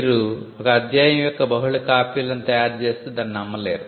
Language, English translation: Telugu, You cannot make multiple copies of the chapter and sell it for a price